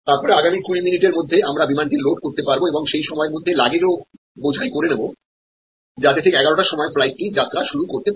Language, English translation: Bengali, So, that within 20 minutes we can load the aircraft and in the main time luggage’s have been loaded, so at 11'o clock the flight can take off